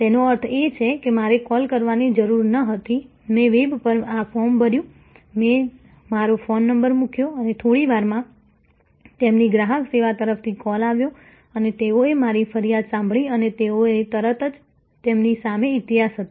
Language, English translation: Gujarati, That means, I did not have to call, I just filled up this form on the web, I put in my phone number and within a few minutes, there was a call from their customer service and they listen to my complaint and they immediately they had the history in front of them